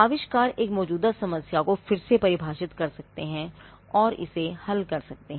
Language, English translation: Hindi, Inventions can redefine an existing problem and solve it